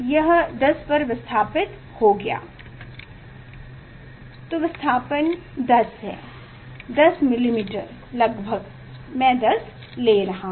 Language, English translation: Hindi, it is a displaced in 10, displacement is 10; 10 millimetres approximately just I am taking